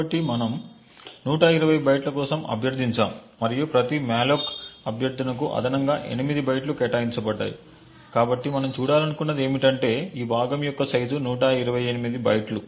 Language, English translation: Telugu, So, since we have requested for 120 bytes and there is an additional 8 bytes allocated for every malloc request, so what we would expect to see is that the size of this chunk is 128 bytes